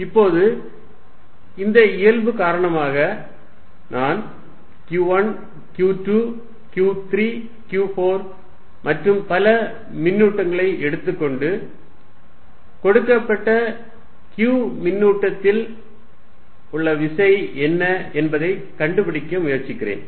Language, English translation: Tamil, Now because of this nature; suppose I take now charge Q1, Q2, Q3, Q4 and so on, and try to find what is the force on a given charge q